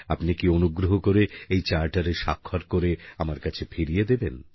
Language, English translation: Bengali, Can you inscribe your autograph on this Charter and arrange to send it back to me